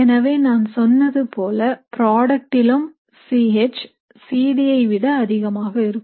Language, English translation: Tamil, So even in the product as I said you will have C H higher than C D